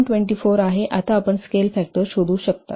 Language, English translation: Marathi, 24 and now you can find out the scale factor